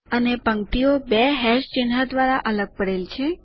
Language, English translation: Gujarati, And the rows are separated by two hash symbols